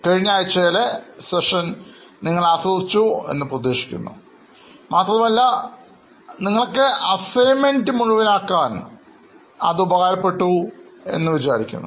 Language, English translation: Malayalam, I hope you have enjoyed the last week sessions and you are also able to comfortably complete the assignment